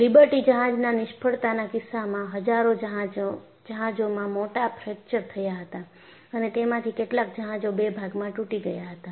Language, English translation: Gujarati, In the case of Liberty ship failure, you had thousands of ships had major fractures, and some of them broke into two